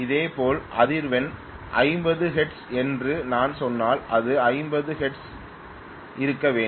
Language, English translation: Tamil, Similarly, the frequency if I say it is 50 hertz, it should remain at 50 hertz